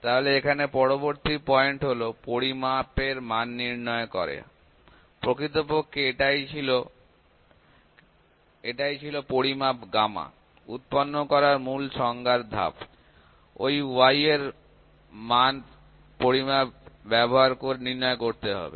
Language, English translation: Bengali, So, next point here is measurement determines a value; this was actually the basic definition steps to produce a measurement y this value; y has to be determined using measurements